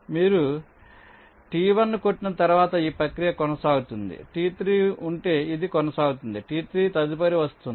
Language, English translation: Telugu, after you hit t one, if there is a t three, that t three will come next